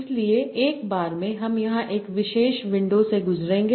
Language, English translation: Hindi, So at a time, I will go through one particular window here